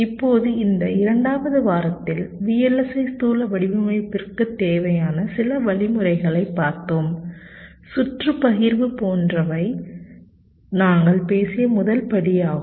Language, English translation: Tamil, now, during this second week we looked at some of the means, initial steps, that are required for the vlsi physical design, like circuit partitioning, was the first step we talked about